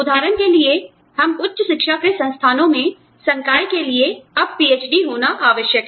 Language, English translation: Hindi, For example, we the faculty in institutes of higher education, are required to have a PhD, now